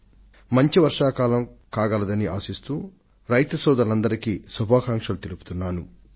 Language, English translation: Telugu, I extend my greetings to all our farmer brethren hoping for a bountiful rainfall